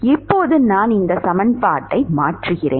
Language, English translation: Tamil, Now, I substitute this equation, it is the original model